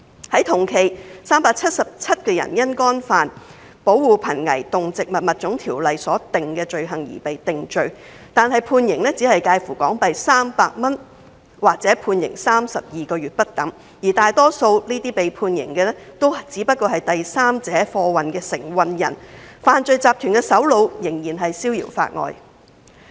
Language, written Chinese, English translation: Cantonese, 在同期 ，377 人因干犯《保護瀕危動植物物種條例》所訂的罪行而被定罪，但判刑只介乎罰款300港元或判監32個月不等，而大多數被判刑的只屬代第三者運貨的承運人，犯罪集團的首腦仍然逍遙法外。, In the same period the Government convicted 377 offenders of offences under PESAPO but the sentences ranged from a fine of HK300 to 32 months of imprisonment . The majority of offenders being convicted were carriers carrying goods for a third party with the criminal syndicate masterminds still being at large